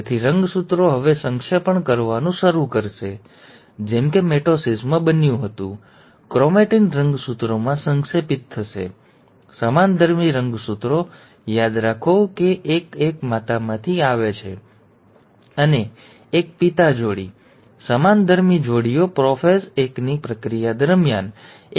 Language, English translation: Gujarati, So the chromosomes will start now condensing, as it happened in mitosis, the chromatin will condense into chromosomes, and the homologous chromosomes, remember one each coming from mother and one from the father, the pair, the homologous pairs will start coming together during the process of prophase one